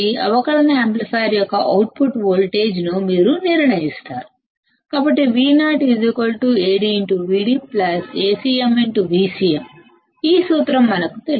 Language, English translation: Telugu, That you determine the output voltage of differential amplifier; so, V o is nothing, but Ad into V d plus Acm into V c m; we know this formula